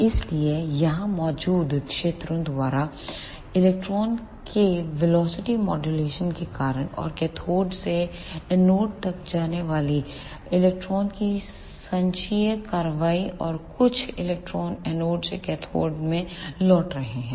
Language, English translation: Hindi, So, because of velocity modulation of electron by the fields present here, and the cumulative action of electrons going from cathode to anode and some electrons returning from anode to cathode